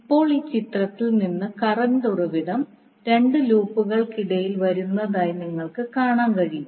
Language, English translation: Malayalam, Now, from this figure you can see the current source which is there in the figure is coming between two loops